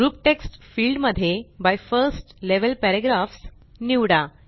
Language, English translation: Marathi, In the Group text field, select By 1st level paragraphs